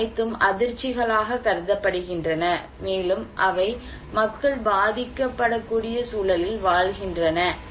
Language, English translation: Tamil, These are all considered to be shocks that are increasing that under which people are living in a vulnerable context